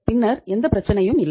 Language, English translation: Tamil, Then there is no problem